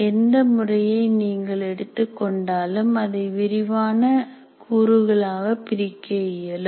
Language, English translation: Tamil, And any method that you take can also be broken into detailed component methods